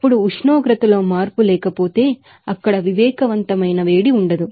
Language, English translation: Telugu, Now, if there is no change of temperature of course, there will be no sensible heat there